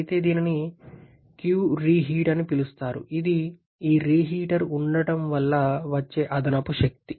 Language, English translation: Telugu, Whereas this is called the qreheat which is the additional energy body that is coming because of the presence of this reheater